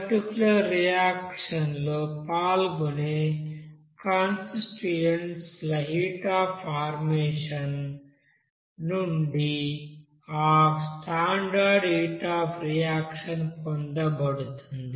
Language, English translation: Telugu, As we know that standard heat of reaction that is actually obtained based on that heat of you know formation of that constituents, which are taking part in the particular reactions